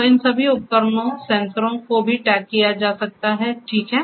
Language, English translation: Hindi, So, all these devices, sensors can be geo tagged also ok